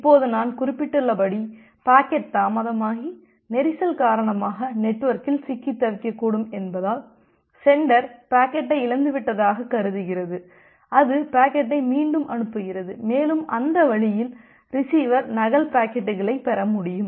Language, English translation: Tamil, Now as I have mentioned that because the packet may get delayed and got stuck in the network due to congestion, the sender assumes that the packet has been lost, it retransmit the packet and that way the receiver can get the duplicate packets